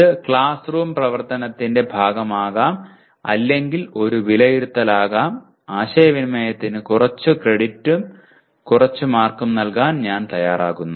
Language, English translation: Malayalam, It could be part of the classroom activity or it could be an assessment where I am willing to give some credit and some marks towards communication whatever percentage it is